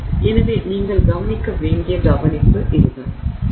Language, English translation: Tamil, So, that is the kind of care that you need to take